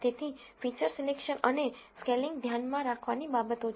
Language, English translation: Gujarati, So, feature selection and scaling are things to keep in mind